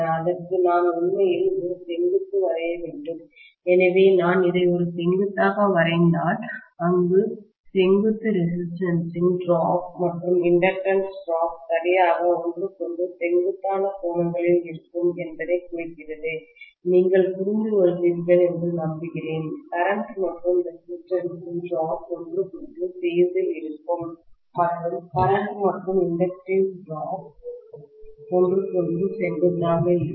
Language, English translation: Tamil, And to this I have to actually draw a perpendicular, so I have to take it like this, if I draw a perpendicular, that perpendicular is indicating that the resistance drop and inductance drop will be at right angle to each other, I hope you understand, the current and the resistance drop will be in phase with each other, and the current and the inductive drop will be perpendicular to each other